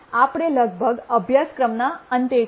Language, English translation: Gujarati, We are almost at the end of the course